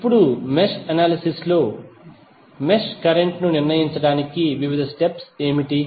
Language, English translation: Telugu, Now, what are the various steps to determine the mesh current in the mesh analysis